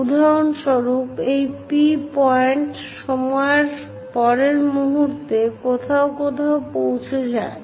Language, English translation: Bengali, For example, this P point, next instant of time reaches to somewhere there